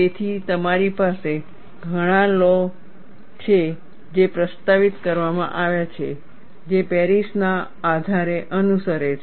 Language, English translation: Gujarati, So, you have many laws that have been proposed, which follow the basis of Paris